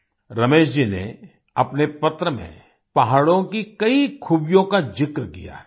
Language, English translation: Hindi, Ramesh ji has enumerated many specialities of the hills in his letter